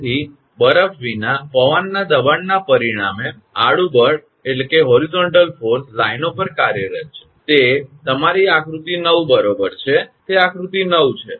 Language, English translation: Gujarati, Therefore, the horizontal force exerted on the lines as a result of the pressure of wind without ice; that is your this figure 9 right, that is figure 9